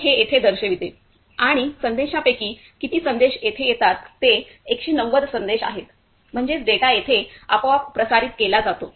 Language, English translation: Marathi, So, it shows and the number of messages which arrives over here that is 190 number of messages; that means, the data is automatically transmitted here